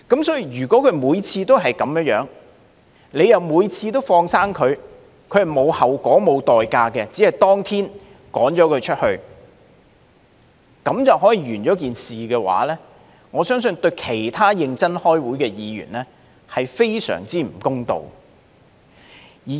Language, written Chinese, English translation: Cantonese, 所以，如果每次都是這樣，而每次都放生他，他們是沒有後果、不用付出代價，只是當天將他趕離會議廳便了事，我相信對其他認真開會的議員，是非常不公道的。, So if the situation is like this every time and if such Members can get away every time without having to face any consequences or pay a price except for their mere expulsion from the Chamber that day I believe this is very unfair to other Members who attend meetings diligently